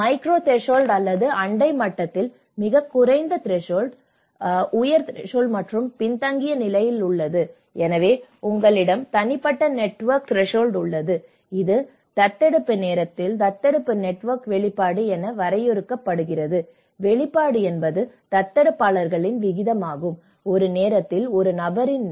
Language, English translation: Tamil, And with the micro level or the neighbourhood level, as I told you that there is a very low threshold, low threshold, high threshold and the laggards, so you have the personal network threshold which is defined as an adoption network exposure at the time of adoption, exposure is a proportion of adopters in an individual's person network at a point of time